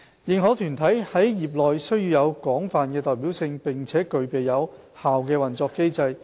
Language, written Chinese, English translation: Cantonese, 認可團體在業內須具有廣泛的代表性，並具備有效的運作機制。, Accredited bodies should demonstrate a broad representation of their professions and maintain a well - established operation